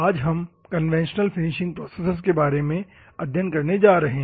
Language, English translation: Hindi, Today, we are going to see the Conventional Finishing Processes